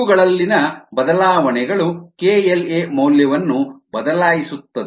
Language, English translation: Kannada, they changes in these will change the k l a value